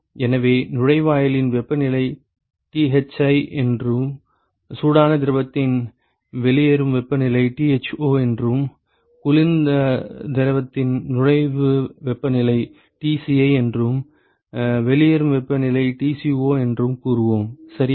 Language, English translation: Tamil, So, let us say that the inlet temperature is Thi and the outlet temperature of the hot fluid is Tho, and the inlet temperature of the cold fluid is Tci and the outlet temperature is Tco ok